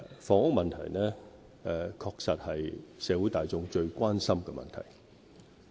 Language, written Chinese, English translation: Cantonese, 房屋問題確實是社會大眾最關心的問題。, Housing is indeed the greatest concern of the general public